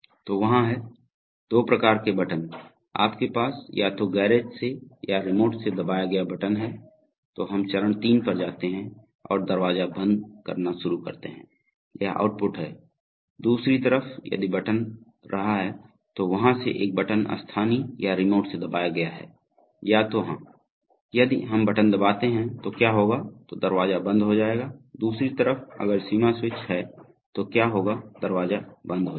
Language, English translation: Hindi, So there are, Two kinds of buttons, so you have either a button pressed from the garage or from the remote then we go to step 3 and start closing the door, this is the, this is the output, on the other hand if button has been, so if, from there if either a button has been pressed either from local or from remote or if so, if we, if we press the button what will happen then the door will stop, on the other hand if the, if the limit switch is made what will happen the door will stop